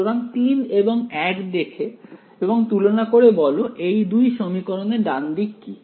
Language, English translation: Bengali, So, look at compare 3 and 1 what is the right hand side of these two equations